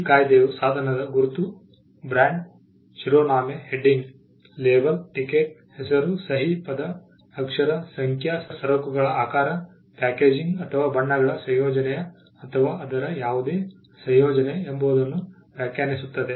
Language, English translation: Kannada, The act defines a mark as a device, brand, heading, label, ticket, name, signature, word, letter, numeral, shape of goods, packaging or combination of colours or any combination thereof